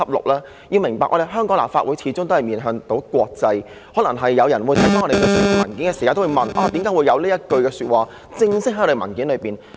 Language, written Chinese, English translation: Cantonese, 大家要明白，香港立法會始終也面向國際，可能有人在看到我們提交的文件時也會問，為何會有這一句話正式寫在文件內？, Members should understand that the Legislative Council of Hong Kong faces the international community after all . When some people see our tabled paper they may ask why this sentence is officially written in there?